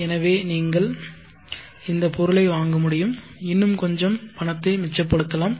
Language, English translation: Tamil, So you will be able to purchase this item and still be leftover with some money